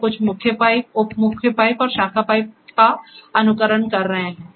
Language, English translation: Hindi, So, some are simulating kind of mains then sub mains and branch pipe